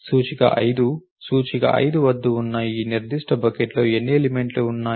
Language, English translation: Telugu, The index is 5 at how many elements are there in that particular bucket